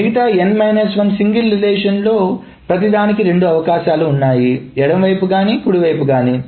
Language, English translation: Telugu, So for any of this n minus 2 single relations it can have two choices left and right